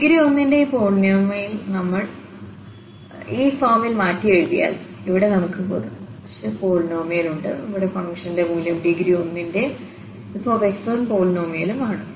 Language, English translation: Malayalam, So, we have rewritten this polynomial of degree 1 in this form where we have some polynomial here the value of the function again this polynomial of degree 1 and then f x 1